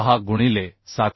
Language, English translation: Marathi, 6 into 714